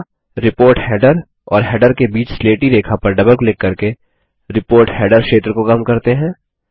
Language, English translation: Hindi, Next let us reduce the Report header area by double clicking on the grey line between the report header and the header